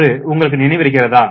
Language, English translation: Tamil, Do you remember